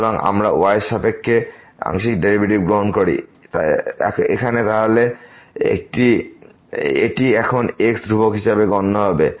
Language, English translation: Bengali, So, if we take the partial derivative with respect to here, then this is now will be treated as constants